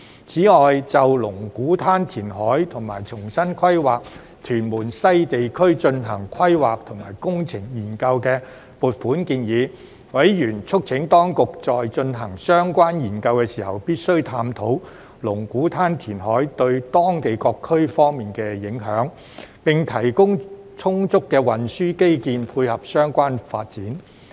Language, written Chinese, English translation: Cantonese, 此外，就龍鼓灘填海和重新規劃屯門西地區進行規劃及工程研究的撥款建議，委員促請當局在進行相關研究時必須探討龍鼓灘填海對當區各方面的影響，並提供充足的運輸基建配合相關發展。, Moreover regarding the funding request on the planning and engineering study for Lung Kwu Tan reclamation and replanning of Tuen Mun West Area . Members called on the Administration to properly examine the impact on various fronts in the Lung Kwu Tan area in the course of conducting the planning and engineering study and to ensure the provision of sufficient transport infrastructure to dovetail with the proposed reclamation project